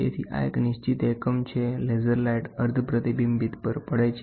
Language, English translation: Gujarati, So, this is a fixed unit, the laser light falls on a semi reflected one